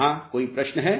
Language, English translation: Hindi, Any questions here